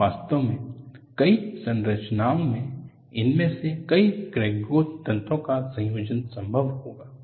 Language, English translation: Hindi, So, in reality, many structures will have combination of many of these crack growth mechanisms possible